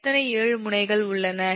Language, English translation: Tamil, how many nodes are there